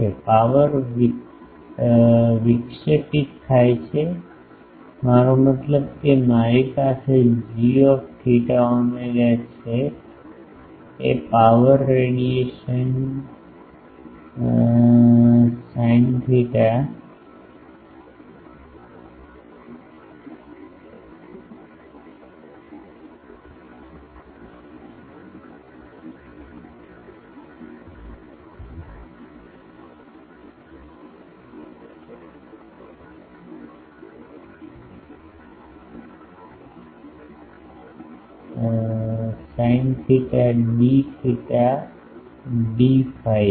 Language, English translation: Gujarati, Power intercepted means I have g theta phi is the power radiation pattern, sin theta d theta d phi